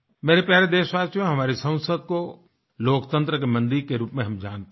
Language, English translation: Hindi, My dear countrymen, we consider our Parliament as the temple of our democracy